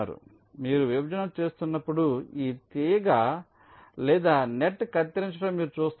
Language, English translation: Telugu, so when you do a partition, you see that this one wire or one net was cutting